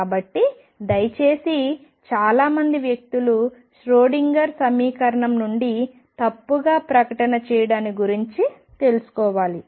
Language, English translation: Telugu, So, please be aware of that lot of people say derived Schrödinger equation that is a wrong statement to make